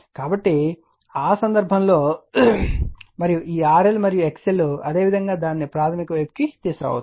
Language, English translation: Telugu, So, in that case and this R L and X L in similar way you can bring it to the primary side